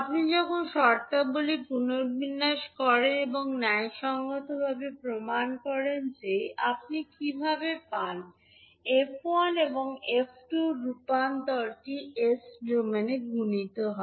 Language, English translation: Bengali, So this is how you get when you rearrange the terms and justify that the convolution is, convolution of f1 and f2 is multiplication in s domain